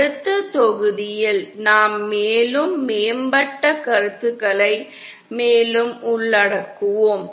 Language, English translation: Tamil, In the next module we shall be further covering the more advanced concepts